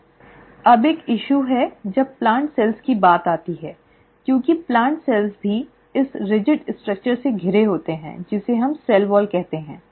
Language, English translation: Hindi, Now, there is a issue when it comes to plant cells because the plant cells are also surrounded by this rigid structure which is what we call as the cell wall